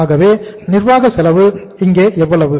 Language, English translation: Tamil, Administrative cost is how much here